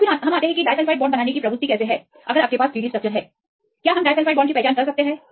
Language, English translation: Hindi, So, then we come how is the tendency of forming disulfide bonds; if we have a 3 D structures; can we identify the disulfide bonds